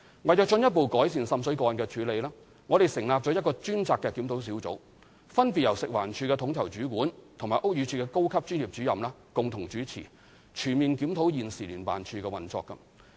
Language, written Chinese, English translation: Cantonese, 為進一步改善滲水個案的處理，我們成立了一個專責檢討小組，分別由食環署的統籌主管和屋宇署的高級專業主任共同主持，全面檢討現時聯辦處的運作。, To further improve the handling of water seepage cases a task force led by Coordinator of FEHD and a senior professional officer of BD is formed to comprehensively review the current operation of JO